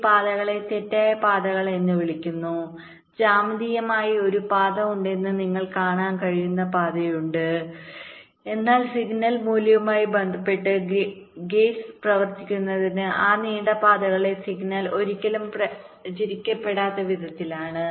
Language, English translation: Malayalam, there are path which geometrically you can see there is a path, but with respect to the signal value the gates will work in such a way that signal will never propagate along those long paths